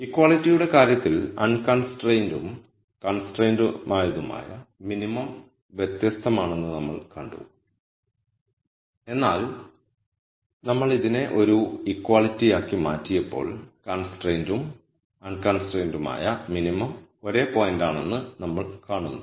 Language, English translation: Malayalam, So we saw that in the case of equality the unconstrained and constrained minimum were different, but when we made this into an inequality with the less than equal to sign we see that the constrained and unconstrained minimum are the same points